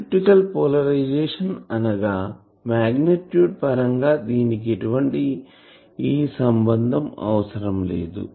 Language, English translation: Telugu, So, elliptical polarisation means that magnitude wise; magnitude wise I do not require any relationship